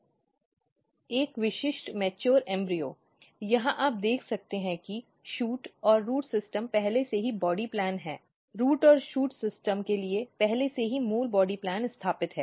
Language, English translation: Hindi, So, if you look a typical mature embryo, here you can see that shoot and root system has been already the body plan the basic body plan for root and shoot system is already established